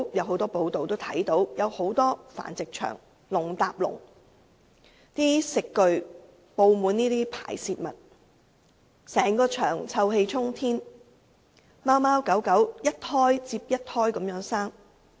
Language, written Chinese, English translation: Cantonese, 很多繁殖場內鐵籠上有鐵籠，食具布滿排泄物，整個場地臭氣沖天，而貓狗則一胎接一胎的生育。, It is common to see piles of cages in the premises where the food dishes are covered with animal wastes and the entire place is filled with pungent smell . The cats and dogs therein are simply kept for breeding incessantly